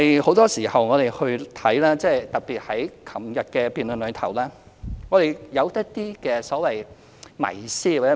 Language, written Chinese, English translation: Cantonese, 很多時候，特別在昨天的辯論中可見，我們對年紀問題存有一些所謂迷思。, More often than not we have some myths about age and it was seen particularly in the debate yesterday